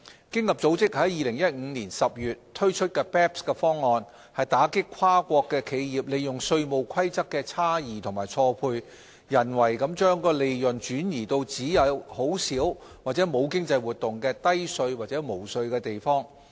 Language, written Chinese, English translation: Cantonese, 經合組織於2015年10月推出 BEPS 方案，打擊跨國企業利用稅務規則的差異及錯配，人為地將利潤轉移至只有很少或沒有經濟活動的低稅或無稅地方。, OECD released the BEPS package in October 2015 to counter the exploitation of gaps and mismatches in tax rules by multinational enterprises to artificially shift profits to low - or no - tax locations where there is little or no economic activity